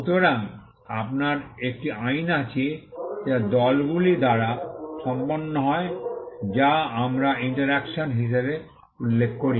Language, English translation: Bengali, So, you have an act, which is done by parties, which is what we refer to as interaction